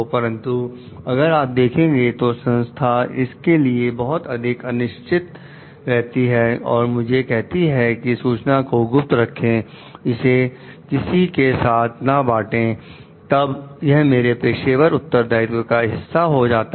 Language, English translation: Hindi, But if we see that the organization is reluctant about it its telling me to keep this information confidential, not to share it; then, it is a part of my professional responsibility